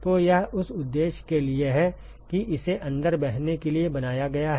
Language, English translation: Hindi, So, it is for that purpose that it is been made to flow inside